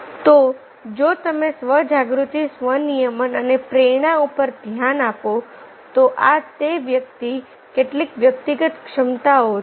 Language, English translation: Gujarati, so, if you look into self awareness, self regulation and motivations, these are the personal competencies and the part of the individual